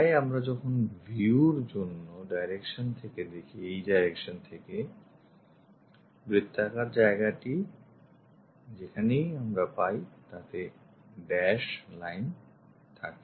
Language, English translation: Bengali, So, when we are looking from this direction for the view, the circular location where we have it we have this dashed lines